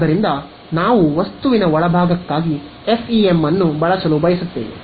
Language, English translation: Kannada, So, we want to do use FEM for interior of object